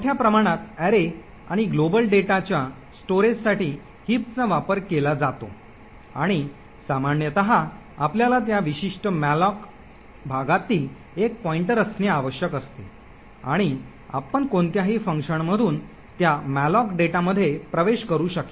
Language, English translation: Marathi, Heaps are used for storage of objects large array and global data and typically all you require is to have a pointer to that particular malloc chunk and you would be able to access that malloc data from any function